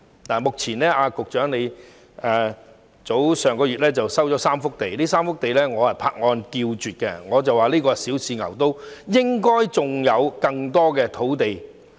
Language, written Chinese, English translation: Cantonese, 當局上月收回3幅土地，我對此拍案叫絕，我認為這是小試牛刀，應該還有更多土地。, The authorities resumed three land lots last month which I think is fantastic . In my view this is an attempt to try out and there should be more sites to come